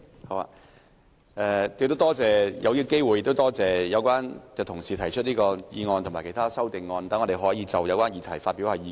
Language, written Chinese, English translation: Cantonese, 我要趁此機會感謝有關的同事提出議案及修正案，讓我們可以就有關議題發表意見。, I will take this opportunity to thank Members for moving the motion and the amendments so that we can express our views on the subject